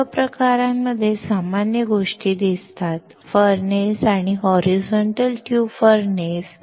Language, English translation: Marathi, In all the cases, the common things seen are a furnace and a horizontal tube furnace